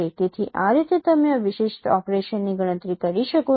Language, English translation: Gujarati, So, this is how you can compute this particular operations